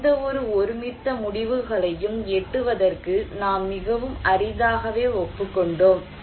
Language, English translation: Tamil, We have very rarely agreed to reach any consensus decisions